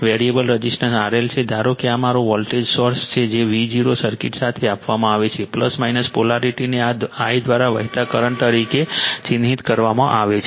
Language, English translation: Gujarati, The variable resistance is R L suppose this is my voltage source V 0 is given for a circuit, plus minus polarity is marked current flowing through this I